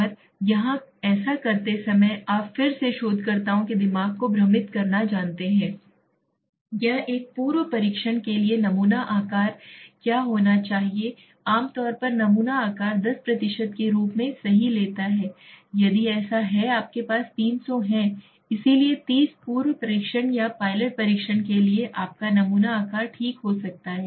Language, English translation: Hindi, And here while doing this is again you know confusing the mind of researchers what should be the sample size for a pre testing generally takes the sample size as 10% right so if you have 300 so 30 could be your sample size for a pre testing or pilot testing okay